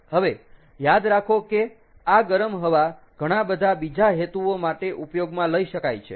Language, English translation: Gujarati, now, remember this heated air can be used for a lot of other purposes